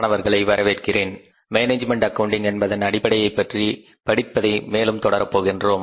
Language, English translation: Tamil, So, uh, continuing further the process of learning about the basics of management accounting